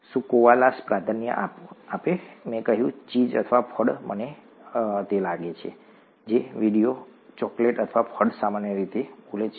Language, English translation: Gujarati, Do Koalas Prefer, I said Cheese Or Fruit, I think the video says Chocolate or Fruit Generally Speaking